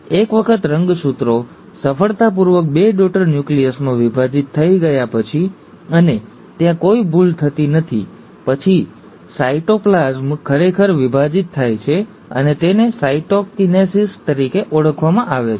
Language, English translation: Gujarati, Once the chromosomes have been now successfully divided into two daughter nuclei, and there is no error happening there, then the cytoplasm actually divides, and that is called as the ‘cytokinesis’